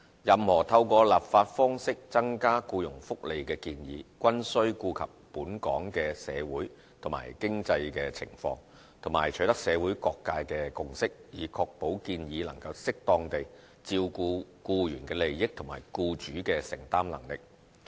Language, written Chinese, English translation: Cantonese, 任何透過立法方式增加僱傭福利的建議，均須顧及本港的社會及經濟情況，和取得社會各界的共識，以確保建議能適當地照顧僱員的利益及僱主的承擔能力。, Any proposal to enhance employees benefits through legislative means must take into account the socio - economic situation of Hong Kong and requires a consensus in the community to ensure that the proposal has suitably taken care of the interests of the employees and the capability of the employers